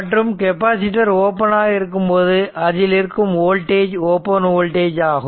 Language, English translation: Tamil, And capacitor is open, then what is the voltage across this what is the voltage across capacitor is open